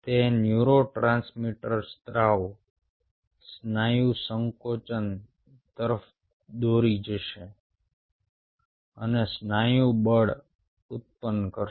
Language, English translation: Gujarati, those neurotransmitter secretion will lead to muscle contraction, further lead to muscle force generation